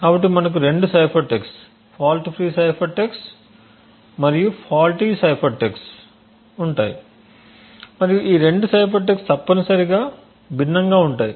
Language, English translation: Telugu, So we have two cipher text a fault free cipher text and a faulty cipher text and both the cipher text are essentially different